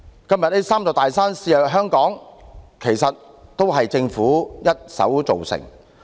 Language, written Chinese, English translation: Cantonese, 今天這"三座大山"肆虐香港，其實是政府一手造成的。, That these three big mountains plague Hong Kong is actually the making of the Government